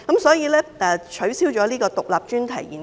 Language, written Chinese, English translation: Cantonese, 所以，其實我也支持取消獨立專題研究。, Therefore actually I also support the removal of IES